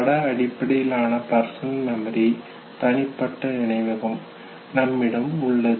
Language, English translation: Tamil, Still we have the image based personal memory of it